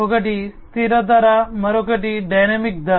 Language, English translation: Telugu, One is the fixed pricing, the other one is the dynamic pricing